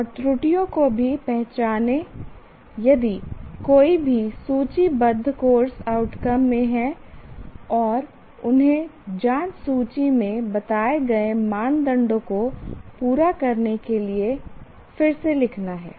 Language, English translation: Hindi, And also identify the errors if any in course outcomes listed and rewrite them to fulfill the criteria stated in the checklist